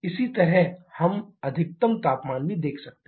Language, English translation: Hindi, Similarly, we can also see the maximum temperature